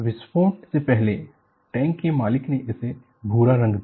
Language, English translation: Hindi, Before the explosion, the tank's owner painted it brown